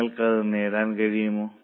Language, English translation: Malayalam, Are you able to get it